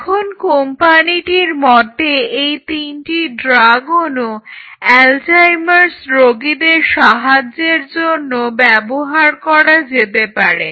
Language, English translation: Bengali, Now, these three molecules the company believes could influence or could help in those Alzheimer patients